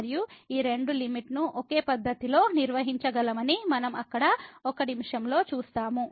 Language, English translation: Telugu, And we will see in a minute there these both limit can be handle in a similar fashion